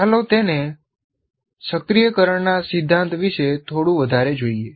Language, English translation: Gujarati, Let us look at it a little more about activation principle